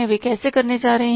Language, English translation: Hindi, So how it is possible